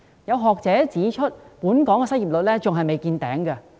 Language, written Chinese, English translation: Cantonese, 有學者指出，本港失業率仍未達頂峰。, Some academics pointed out that the unemployment rate in Hong Kong has not yet reached its peak